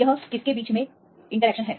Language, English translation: Hindi, It is the interaction between